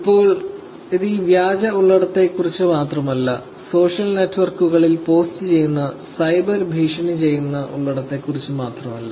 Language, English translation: Malayalam, Now, it is not about only this fake content, it is not only about the cyber bullying content that are being posted on social networks